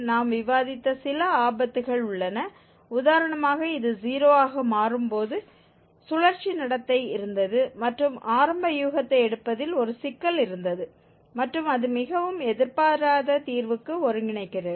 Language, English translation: Tamil, There are some pitfalls which we have also discussed, when for instance this becomes 0 there was cyclic behavior and there was a problem with the taking initial guess and it is converging to very unexpected root